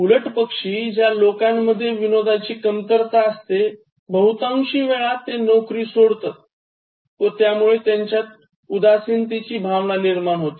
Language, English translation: Marathi, People conversely, especially the ones who lack a good sense of humour, often quit jobs frequently and get depressed about it eventually